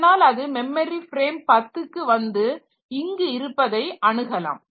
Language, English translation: Tamil, So, it will come to memory frame 10 and this will be accessing somewhere here